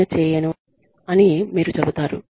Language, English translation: Telugu, You will say, i will not do it